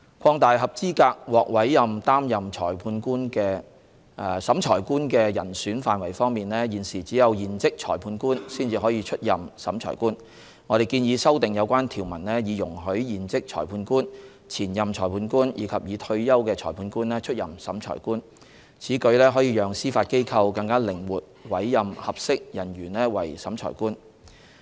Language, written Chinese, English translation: Cantonese, 擴大合資格獲委任擔任審裁官的人選範圍方面，現時只有現職裁判官才可出任審裁官。我們建議修訂有關條文以容許現職裁判官、前任裁判官及已退休的裁判官出任審裁官。此舉可讓司法機構更靈活委任合適人員為審裁官。, In order to broaden the pool of eligible candidates for appointment as Revising Officer we proposed to allow serving former and retired magistrates to be appointed as Revising Officers as currently only serving Magistrates can be appointed as Revising Officer